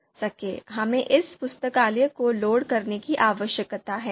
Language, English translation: Hindi, So we need to load this library